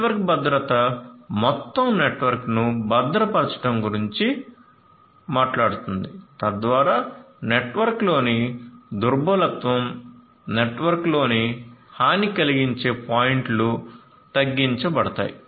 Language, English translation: Telugu, Network security talks about securing the entire network so that the vulnerabilities in the network, the vulnerable points in the network are minimized